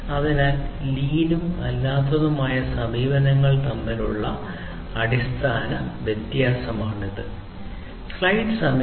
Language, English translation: Malayalam, So, this fundamental difference between lean and the non lean approaches